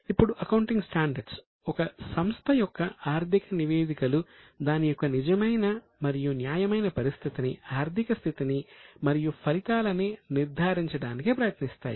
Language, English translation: Telugu, Now, accounting standards seek to ensure that financial statements of an enterprise give a true and fair view of its financial position and working results